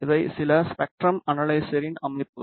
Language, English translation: Tamil, These are some spectrum analyzer settings